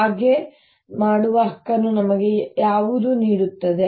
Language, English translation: Kannada, what gives us the right to do so